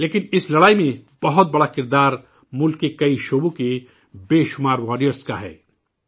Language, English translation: Urdu, But there also has been a very big role in this fight displayed by many such warriors across the country